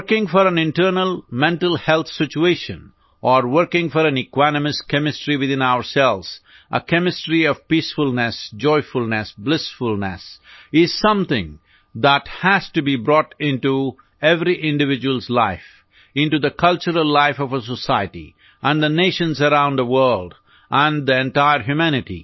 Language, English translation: Hindi, Working for an internal mental health situation or working for an equanimous chemistry within ourselves, a chemistry of peacefulness, joyfulness, blissfulness is something that has to be brought into every individual's life; into the cultural life of a society and the Nations around the world and the entire humanity